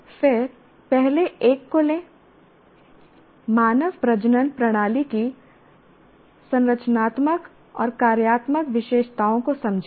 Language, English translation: Hindi, Then take the first one, understand the structural and functional features of human reproductive system